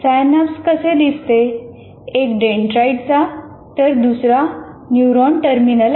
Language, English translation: Marathi, This is how the synapse looks like from one is from dendrite, the other is from the terminal, neuron terminal